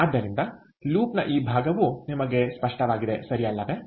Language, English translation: Kannada, so this part of the loop is clear to you